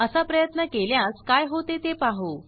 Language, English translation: Marathi, Lets see what happens when we try this